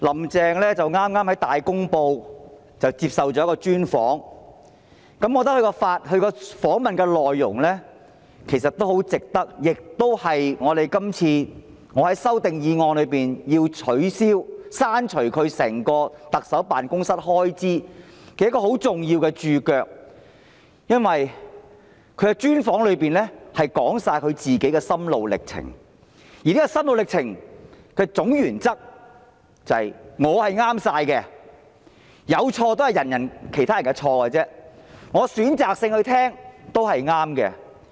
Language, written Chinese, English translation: Cantonese, "林鄭"剛接受了《大公報》的專訪，我覺得這次訪問的內容，對於我這次提出削減行政長官辦公室全年預算開支的修正案，是一個很重要的註腳，因為"林鄭"在專訪中說出自己的心路歷程，而這個心路歷程的總原則是"我是全對的，有錯也是別人的錯，我選擇性聆聽也是對的"。, Carrie LAM just had an exclusive interview with Ta Kung Po . I think what she said in this interview is a very important footnote to this amendment proposed by me to cut the estimated annual expenditure for the Office of the Chief Executive . It is because in the interview Carrie LAM revealed her mental journey and the general principle of this mental journey is I am always right; even if there are mistakes they are mistakes made by other people and I am right in listening to views selectively